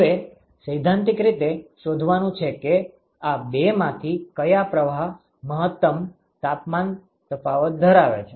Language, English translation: Gujarati, Now, the exercise is to find out theoretically which of these two streams is actually going to be the maximal temperature difference, right